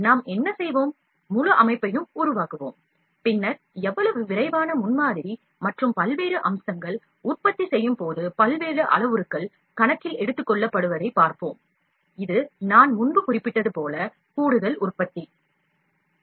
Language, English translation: Tamil, What we will do, we will the make the whole set up, then we will see how rapid prototyping and various features, various parameters are taken in to account while manufacturing, this is additive manufacturing as I mentioned earlier